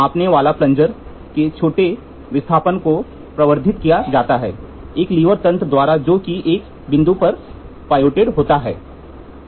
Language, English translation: Hindi, Small displacements of a measurement measuring plunger are initially amplified by a mechanical system a lever mechanism pivoted about a point